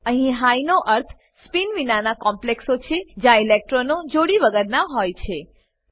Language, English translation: Gujarati, Here High means spin free complexes where electrons are unpaired